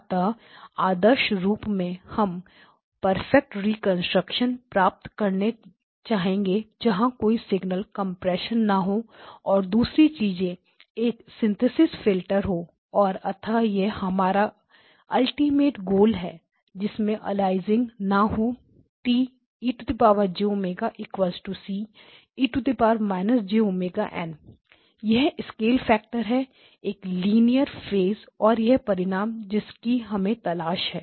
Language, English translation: Hindi, So, ideally, we would like to achieve perfect reconstruction when there is no signal compression and other things just the synthesis filters and so this is our ultimate goal no aliasing, T e of j omega equal to c times e power minus j omega n,0 it is a scale factor a linear phase and then we achieve the result that were looking for